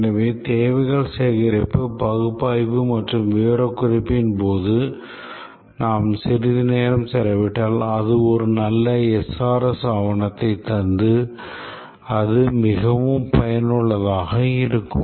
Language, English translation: Tamil, If we spend some time during the requirement gathering analysis and specification and we produce a good SRS document